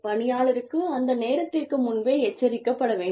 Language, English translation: Tamil, Employee should be warned, ahead of time